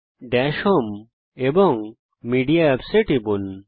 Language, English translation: Bengali, Click on Dash home, Media Apps